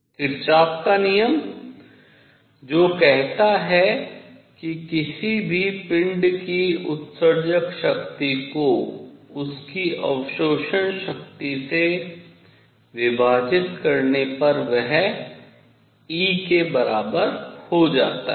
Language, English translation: Hindi, So, Kirchhoff’s rule; law says that emissive power of any body divided by a is equal to E